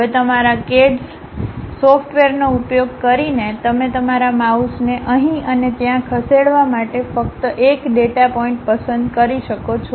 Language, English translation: Gujarati, Now, using your CAD software, you can just pick one of the data point move your mouse here and there